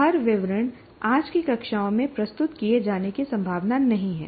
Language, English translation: Hindi, So what happens is every detail is not, is unlikely to be presented in today's classrooms